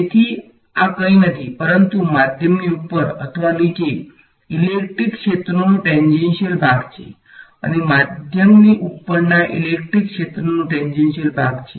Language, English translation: Gujarati, So, this E 2 x this is nothing, but the tangential part of electric field above or below the medium and E 1 x is the tangential part of the electric field above the medium ok